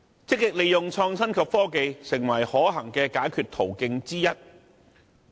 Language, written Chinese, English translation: Cantonese, 積極利用創新及科技，誠為可行的解決途徑之一。, Making proactive use of innovation and technology is definitely one of the solutions to these problems